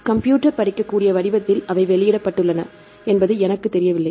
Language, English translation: Tamil, Even I am not sure they published in the computer readable form